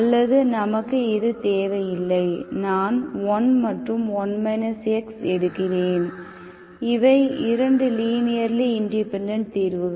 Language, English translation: Tamil, Or need not be this, I can take this and 1 minus x, these are also 2 linearly independent solutions, okay